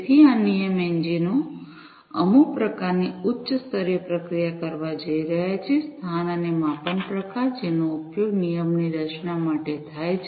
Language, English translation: Gujarati, So, these rule engines are going to do some kind of high level processing, with respect to the location and the measurement type, that is used for rule formation